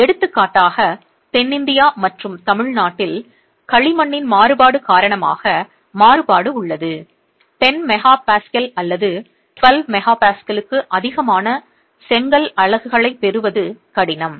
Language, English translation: Tamil, So, the variability is because of the variability of clay in South India and Tamil Nad for example, it is difficult to get brick units which are more than 10 MPA or 12 MP